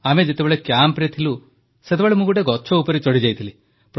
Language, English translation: Odia, While we were at camp I climbed a tree